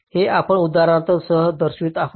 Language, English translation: Marathi, this is shown in these example, as we see now